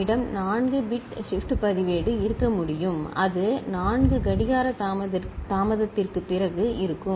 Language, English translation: Tamil, We can have 4 bit shift register then it will be after 4 clock delay